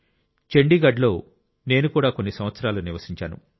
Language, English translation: Telugu, I too, have lived in Chandigarh for a few years